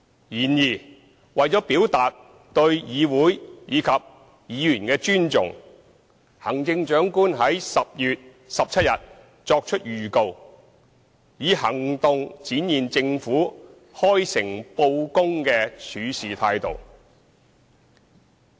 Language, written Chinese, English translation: Cantonese, 然而，為了表達對議會及議員的尊重，行政長官於10月17日作出預告，以行動展現政府開誠布公的處事態度。, However in order to show respect for this Council and Members the Chief Executive gave notice on 17 October an action which well reflects the Governments sincerity and frankness